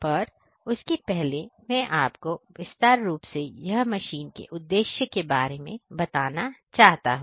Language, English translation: Hindi, But before that let me just tell you that what is the whole purpose of showing this particular machine here